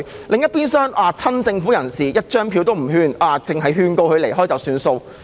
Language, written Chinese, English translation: Cantonese, 另一邊廂，對於親政府人士，警方沒有票控任何人，只是勸告他們離開了事。, On the other hand when it comes to those people from the pro - Government camp the Police issue no penalty tickets against any of them but just advise them to leave